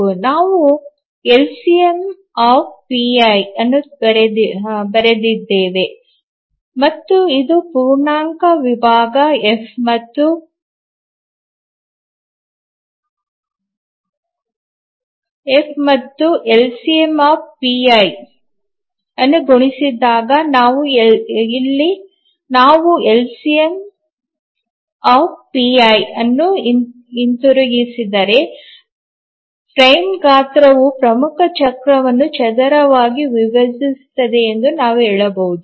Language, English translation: Kannada, The major cycle you have written LCMPI and this is the integer division F and when multiplied by F if we get back the LCMPI then you can say that the frame size squarely divides the major cycle